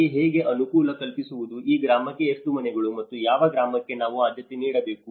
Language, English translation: Kannada, How to facilitate whom, how many houses for this village and which village we have to give priority